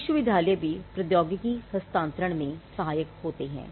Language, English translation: Hindi, Now, universities also as I said where instrumental in transferring technology